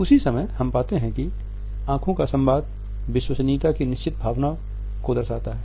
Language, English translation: Hindi, At the same time we find that eyes communicate is certain sense of trustworthiness